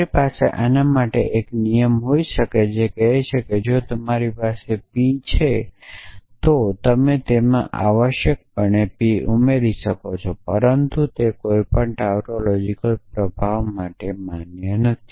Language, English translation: Gujarati, You can have a trivial rule for this which says that if you have p you can add p to that essentially, but of course that is trivial for any tautological implication